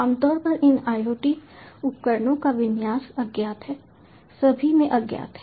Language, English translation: Hindi, typically these iot devices, their configuration, is unknown, unknown all across